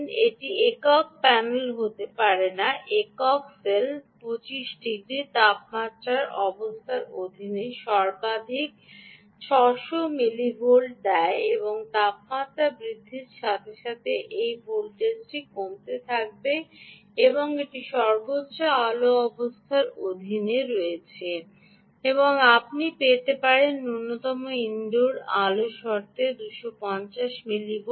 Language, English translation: Bengali, it cannot be panel, single cell, single cell gives maximum of six hundred millivolt under temperature conditions of twenty five degrees, and as the temperature keeps increasing this voltage will keep falling down, ah, and that is under maximum lighting condition, and you can get two fifty millivolt under minimum indoor lighting condition